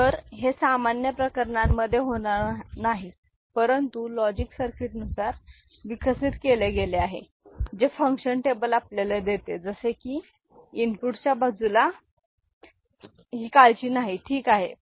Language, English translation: Marathi, So, this is not, is going to happen in normal cases, but according to the logic circuit that has been developed this is what the function table gives us; as such this is a don’t care at the input side, ok